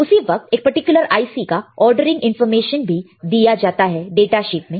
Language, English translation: Hindi, At the same time what are the ordering information for that particular IC is also given in the data sheet